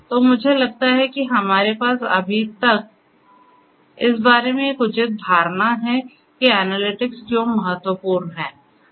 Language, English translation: Hindi, So, I think we have so far a fair bit of idea about why analytics is important